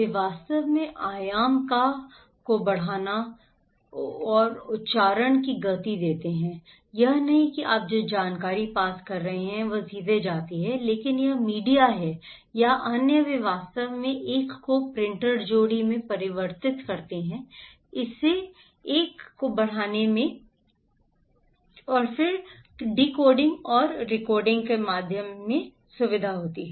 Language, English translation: Hindi, They actually do amplify, magnify and accentuate the informations, it’s not that what information you pass is go directly but it is the media or the other they actually convert this one in printer pair this one, amplify this one, magnify this one, and then it comes through decoding and recoding